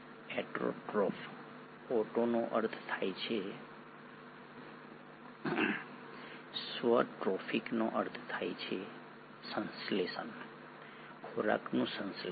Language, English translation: Gujarati, Autotrophs, “auto” means self, “Trophic” means synthesising, food synthesising